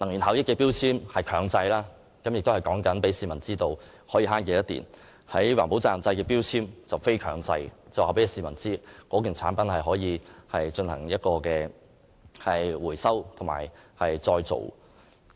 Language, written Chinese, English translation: Cantonese, 能源標籤是強制性的，告訴市民可以節省多少電量；而循環再造標籤則屬非強制性，顯示某件產品是否可以進行回收再造。, While the mandatory energy labels tell the public how much electricity can be saved the non - mandatory recycling labels indicate whether a product can be recovered and recycled